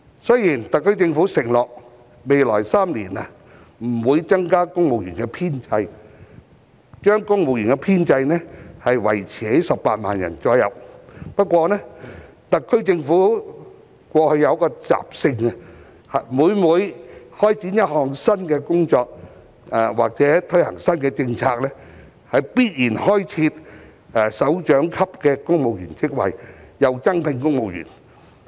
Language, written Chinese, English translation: Cantonese, 雖然特區政府承諾未來3年不會增加公務員編制，將公務員編制維持在大約18萬人，不過特區政府過去有一個習性，就是在開展一項新工作或推行新政策時，必然開設首長級的公務員職位及增聘公務員。, The SAR Government has pledged not to increase the civil service establishment in the next three years by keeping it at about 180 000 . However it has been the SAR Governments common practice to create directorate posts and recruit additional civil servants upon launching a new project or introducing a new policy